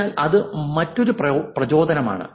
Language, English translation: Malayalam, So that's another motivation